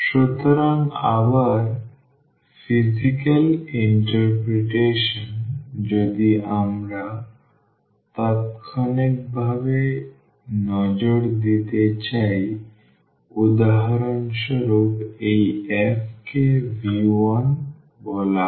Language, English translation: Bengali, So, again the physical interpretation if we want to take a quick look so, if for example, this f is said to V 1